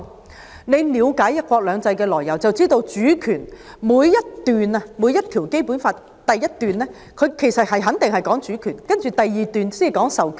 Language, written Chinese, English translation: Cantonese, 如果大家了解"一國兩制"的來由，應知道《基本法》每項條文的第一款肯定關乎主權，第二款才關乎授權。, If one understands the origins of one country two systems one should know that every article of the Basic Law certainly deals with sovereignty in its first paragraph and then the conferring of powers in its second paragraph